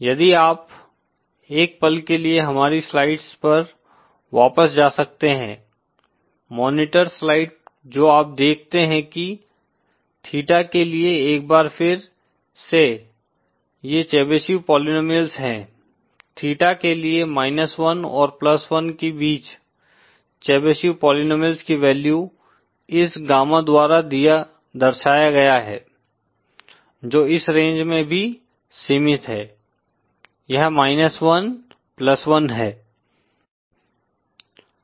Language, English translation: Hindi, If you can for a moment go back to our slides, monitor slides what you see is for theta these are the chevsif polynomials once again, for theta between minus one and plus one the value of the Chebyshev polynomials represented by this gamma is also confined to this range, that is minus one, plus one